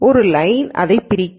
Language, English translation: Tamil, So, a line will separate this